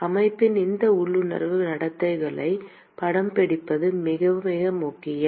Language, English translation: Tamil, It is very, very important to capture these intuitive behaviors of the system